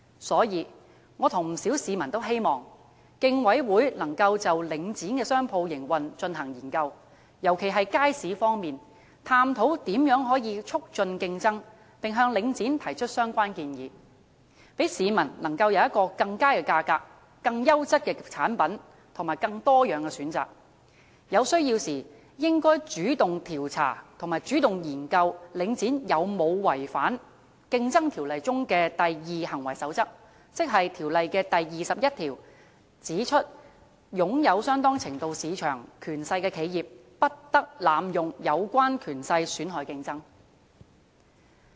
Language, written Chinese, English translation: Cantonese, 所以，我和不少市民均希望，競委會能夠就領展的商鋪營運進行研究，尤其是街市方面，探討如何能夠促進競爭，並向領展提出相關建議，讓市民能夠享有更佳的價格、更優質的產品，以及更多樣的選擇；有需要時，應該主動調查和研究領展有否違反《競爭條例》中的"第二行為守則"，即《競爭條例》第21條所指，擁有相當程度市場權勢的企業，不得濫用有關權勢損害競爭。, Hence quite a number of members of the public and I hope that the Commission can conduct a study on how Link REIT operates its shops especially those in markets explore ways to boost competition and make relevant recommendations to Link REIT so that members of the public may be offered better prices products of higher quality and wider choices . When necessary it should launch direct investigations and studies to see if Link REIT has violated the Second Conduct Rule as stated in section 21 of the Competition Ordinance that businesses with a substantial degree of market power are prohibited from abusing that power to harm competition